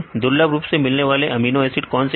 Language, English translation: Hindi, What are rarely occurring a amino acids